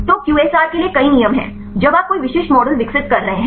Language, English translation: Hindi, So, there are several rules for the QSAR when you are developing any specific models